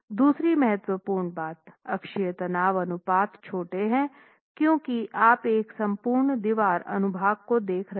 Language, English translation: Hindi, The second important thing is, of course the axial stress ratios are small because we're looking at an entire wall cross section